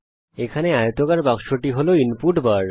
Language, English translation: Bengali, This rectangular box here is the input bar